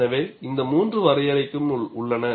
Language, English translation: Tamil, So, you have all three definitions